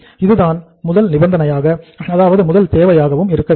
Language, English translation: Tamil, This is the first prerequisite